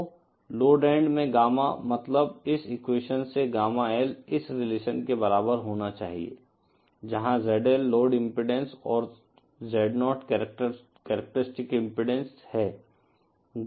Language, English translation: Hindi, So, the Gamma at the load end, that is Gamma L from this equation should be equal to this relationship, where ZL the load impedance and Z0 is the characteristic impedance